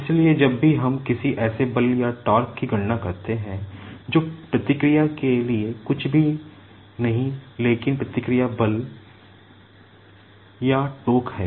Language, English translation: Hindi, So, whenever we calculate any force or torque that is nothing but the reaction force/torque